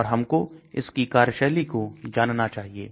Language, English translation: Hindi, And we should also know the mechanism of action